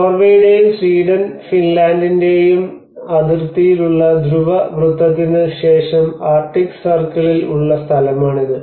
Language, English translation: Malayalam, So this is a place somewhere in the arctic circle after the polar circle on the border of slightly in the border of Norway and the Sweden, the Finland